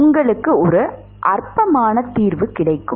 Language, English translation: Tamil, You get a trivial solution